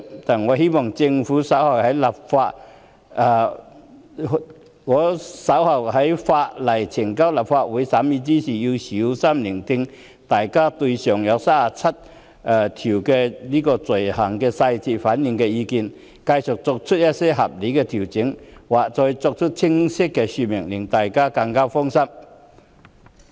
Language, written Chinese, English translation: Cantonese, 但我仍希望政府稍後在有關法案呈交立法會審議時，細心聆聽大家對其餘37類罪類的意見，繼續作出合理的調整，或作更清晰的說明，令大家更加放心。, That said when the Bill is introduced to the Legislative Council for scrutiny later I still hope that the Government will carefully listen to our views on the remaining 37 items of offences and continue to make reasonable adjustments or give clearer explanation so as to better reassure the public